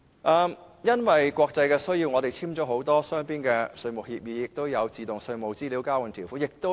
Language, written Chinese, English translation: Cantonese, 由於國際的需要，本港簽訂了很多雙邊的稅務協議，包括自動稅務資料交換的條款。, Due to international needs Hong Kong has concluded many bilateral tax agreements including the terms of automatic exchange of tax information